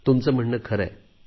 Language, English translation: Marathi, What you say is right